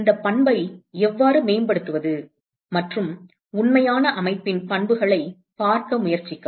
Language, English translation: Tamil, How to enhance this property and try to look at the properties of a real system